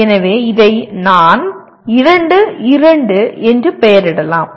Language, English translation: Tamil, So I can label this as 2, 2